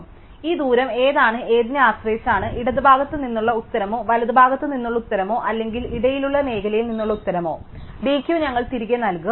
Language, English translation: Malayalam, So, we will return either the d Q the answer produce from the left or the answer produce from the right or the answer produced from our in between zone depending on which of these distances is the smallest